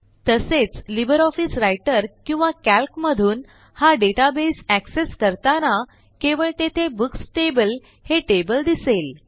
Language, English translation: Marathi, Also, when accessing this database from LibreOffice Writer or Calc, we will only see the Books table there